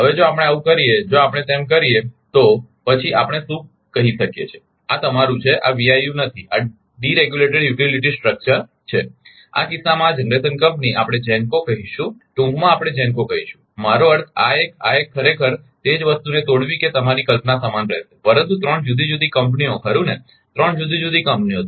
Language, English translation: Gujarati, So, then what we can tell this is your this is not VIU this is deregulated utility structure, in this case this generation company we will call GENCO in short we call GENCO I mean this one this one actually breaking it same thing that your concept remain same, but 3 different entities right 3 different entities